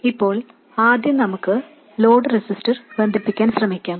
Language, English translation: Malayalam, Now first let's try connecting the load resistor